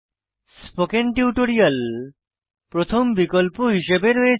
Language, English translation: Bengali, The spoken tutorial website is listed as the first option